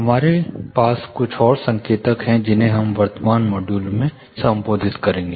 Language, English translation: Hindi, We have few more indicators which we will address in the current module